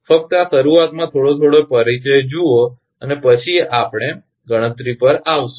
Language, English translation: Gujarati, Just see this initially little bit little bit of introduction and then we will come to the mathematics